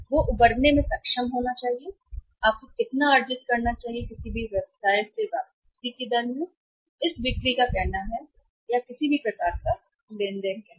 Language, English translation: Hindi, He should be able to recover you should earn that much rate of return from any business or any say this sales or say any kind of the transactions